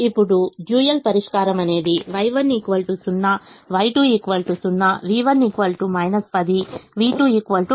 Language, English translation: Telugu, so the dual will have y one, y two and v one, v two